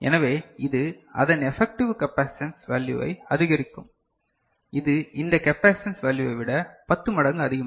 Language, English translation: Tamil, So, that will increase the effective capacitance value of it which is roughly you know 10 times more than this capacitance value